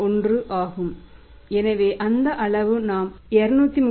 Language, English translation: Tamil, 31 so that amount works out as we have calculated 231